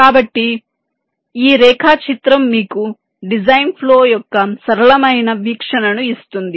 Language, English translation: Telugu, ok, so this diagram gives you a simplistic view of design flow